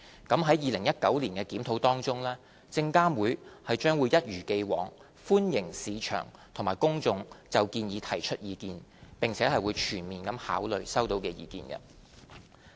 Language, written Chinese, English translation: Cantonese, 在2019年的檢討中，證監會將一如既往，歡迎市場及公眾就建議提出意見，並會全面考慮收到的意見。, In its 2019 review SFC will continue to welcome views from the market and the public and to take full account of the views received